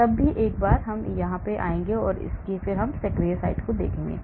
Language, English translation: Hindi, once I do that I come here, I will look at the active site